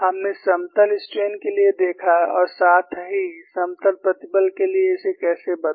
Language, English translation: Hindi, We saw for plane strain as well as how to change it for plane stress